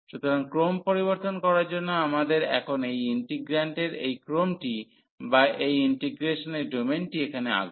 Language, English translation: Bengali, So, for changing the order we have to now draw this order of integration or the domain of this integration here